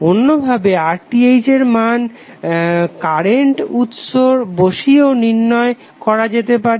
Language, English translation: Bengali, Alternatively the RTh can also be measured by inserting a current source